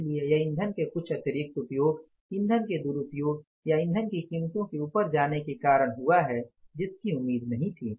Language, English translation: Hindi, So, whether it has happened because of some extra use of the fuel, misuse of the fuel or the prices of the fuels going up which was not expected